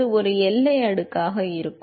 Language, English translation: Tamil, And it going to be a boundary layer